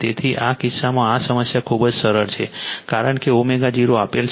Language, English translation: Gujarati, So, in this case this problem is very simple, because omega 0 is given